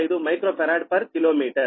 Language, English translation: Telugu, nine, five, one microfarad per kilometer